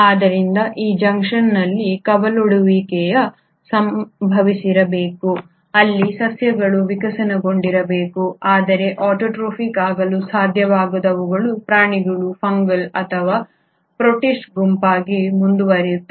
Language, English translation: Kannada, So it is at this junction the branching must have happened where the plants must have evolved while the ones which could not become autotrophic continued to become the animal, a fungal or the protist group